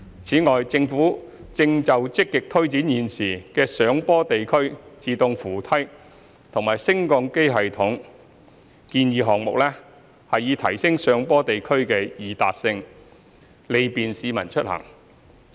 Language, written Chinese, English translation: Cantonese, 此外，政府正就積極推展現時的上坡地區自動扶梯和升降機系統建議項目，以提升上坡地區的易達性，利便市民出行。, Moreover the Government is proactively taking forward proposed items on hillside escalator links and elevator systems at present with a view to enhancing the accessibility of hillside areas to facility the public to commute